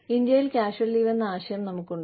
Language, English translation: Malayalam, In India, we have this concept of casual leave